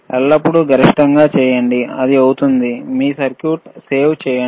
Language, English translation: Telugu, Always make it maximum, that will that will save your circuit, all right